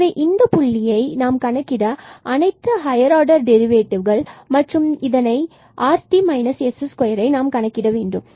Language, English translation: Tamil, So, this point we have computed all these higher order derivatives and then we have to compute rt minus s square